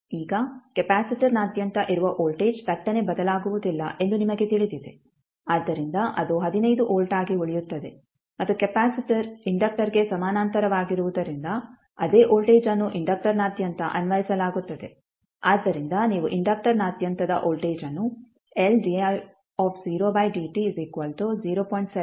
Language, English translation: Kannada, Now, you know that the voltage which is across the capacitor cannot change abruptly, so it will remain as 15 volt and since capacitor is in parallel with inductor the same voltage will be applied across the inductor also, so you can simply write the voltage across the inductor is nothing but L di by dt at time is equal to 0